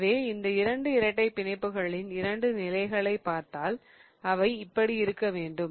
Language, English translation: Tamil, So, if you really see the two planes of the these two double bonds, they have to be like this